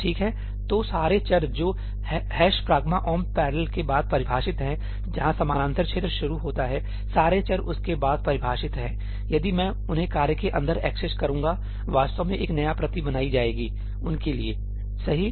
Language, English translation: Hindi, Alright, so, all the variables that are defined after ëhash pragma omp parallelí, where the parallel region starts, all variables that are defined after that, if I access them inside the task, actually a new copy is created for them